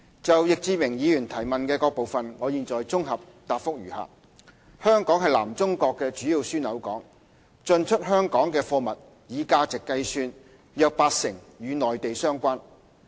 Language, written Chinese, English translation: Cantonese, 就易志明議員提問的各部分，我現綜合答覆如下：香港是南中國的主要樞紐港，進出香港的貨物以價值計算約八成與內地相關。, Our consolidated reply to the three - part question raised by Mr Frankie YICK is as follows Hong Kong is a major hub port in South China with approximately 80 % of the import and export goods in value being Mainland - related